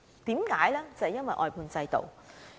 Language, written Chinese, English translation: Cantonese, 便是因為外判制度。, Because of the outsourcing system